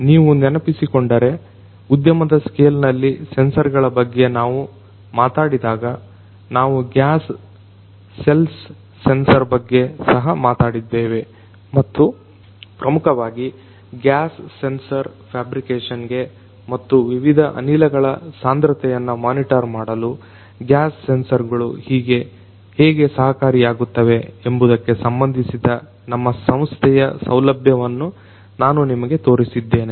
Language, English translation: Kannada, If you recall, when we talked about sensors in the industry scale, we also talked about the development of a gas cells sensor and I had shown you one of the facilities in our institute which basically deals with the gas sensor fabrication and how gas sensors can help in monitoring the concentration of different gases right